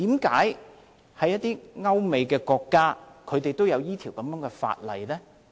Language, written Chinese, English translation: Cantonese, 為何一些歐美國家都有這樣的法例？, Why have some European countries and the United States put in place such legislation?